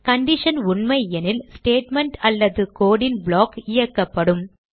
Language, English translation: Tamil, If the condition is True, the statement or block of code is executed.